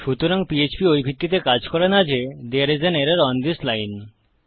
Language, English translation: Bengali, So php doesnt work on the basis that theres an error on this line